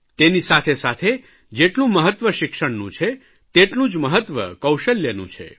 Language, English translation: Gujarati, Along with importance to education, there is importance to skill